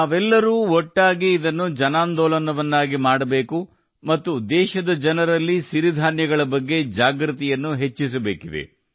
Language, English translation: Kannada, Together we all have to make it a mass movement, and also increase the awareness of Millets among the people of the country